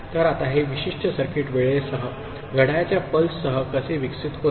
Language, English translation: Marathi, So, now how this particular circuit evolves with time, with clock pulses